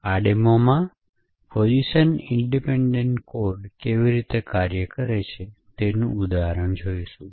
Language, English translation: Gujarati, In this demo will be actually looking at an example of how Position Independent Code works